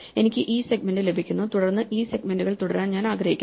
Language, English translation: Malayalam, So, I get this segment then I want to continue this segments